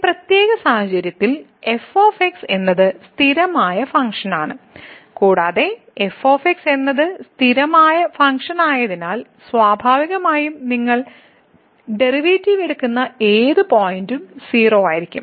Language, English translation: Malayalam, So, in this particular case is the constant function, and since is the constant function naturally whatever point you take the derivative is going to be